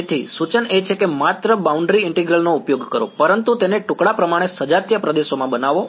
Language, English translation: Gujarati, So, the suggestion is to use boundary integral only, but to make it into piecewise homogeneous regions